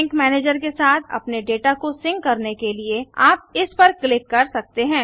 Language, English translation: Hindi, You can click on it to sync your data with the sync manager